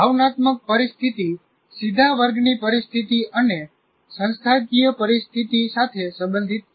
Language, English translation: Gujarati, Now, the emotional climate is related directly to the classroom climate and the institutional climate